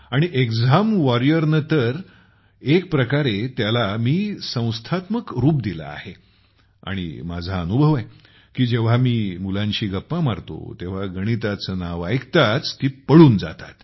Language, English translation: Marathi, And with exam warrior, I have institutionalized it in a way and I have also experienced that when I talk to children, they run away as soon as they hear the name of maths